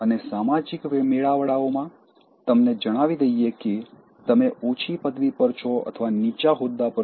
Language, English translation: Gujarati, And in social gatherings let us say you are in less position or in a less rank